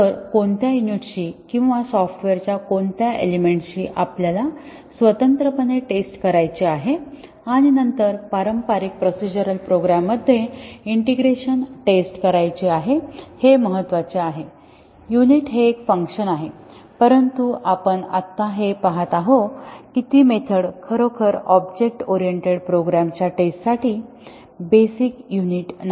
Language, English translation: Marathi, So, which units or which elements of the software we need to test independently and then do the integration testing in the conventional procedural programs the unit is a function, but as we will see just now that method is not really the basic unit of testing for object oriented programs